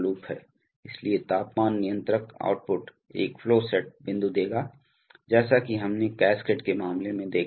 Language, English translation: Hindi, So, the temperature controller output will give a flow set point, as we have seen in the case of cascade